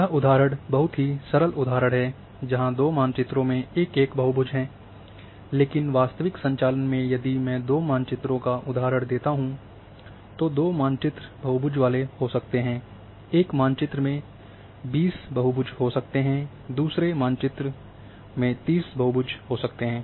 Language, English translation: Hindi, But this example is very simple example where say two maps are having one polygon each, but in real operation say if I take given example of two maps, two maps might be having polygons say one map might be having 20 polygon another map might be having 30 polygon